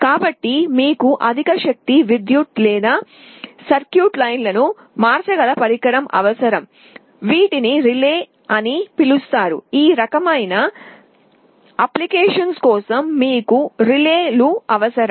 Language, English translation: Telugu, So, you need some kind of a device which can switch high power electric or circuit lines, these are called relays; you need relays for those kind of applications